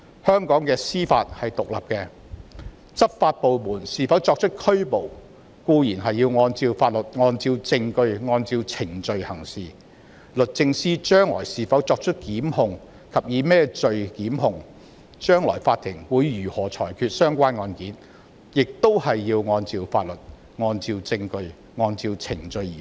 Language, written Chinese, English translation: Cantonese, 香港的司法是獨立的，執法部門是否作出拘捕固然要按照法律、按照證據、按照程序行事；將來律政司是否及以甚麼罪名檢控，以及法庭會如何裁決相關案件，亦要按照法律、證據、程序而行。, Given the independent judiciary of Hong Kong law enforcement departments have to act in accordance with the law evidence and procedures when determining whether to make arrest or not . As regards whether the Department of Justice will initiate prosecution or what offence will be charged and how the Court will make a ruling the parties concerned have to act in accordance with the law evidence and procedures